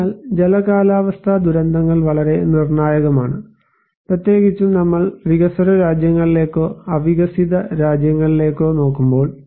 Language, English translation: Malayalam, So, hydro meteorological disasters are very critical, particularly when we are looking into developing countries or underdeveloped countries